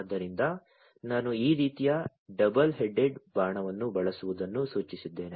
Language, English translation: Kannada, So, that is why I have denoted using a double headed arrow like this